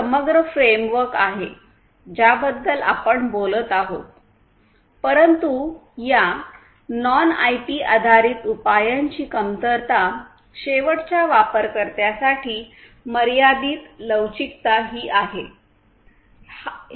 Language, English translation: Marathi, So, this is this holistic framework that we are talking about over here, but the drawback of this non IP based solutions are that there is limited flexibility to end users